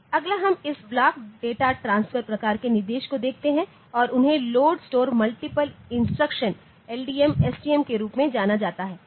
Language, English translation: Hindi, Next we look into this block data transfer type of instruction and they are known as load store multiple instruction LDM, STM